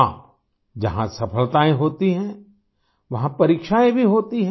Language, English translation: Hindi, Where there are successes, there are also trials